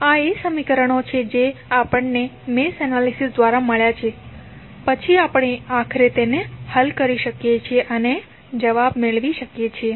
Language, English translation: Gujarati, These are the equations which are the outcome of our mesh analysis and then we can finally solve it and get the answer